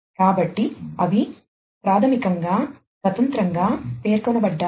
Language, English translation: Telugu, So, they are basically specified independently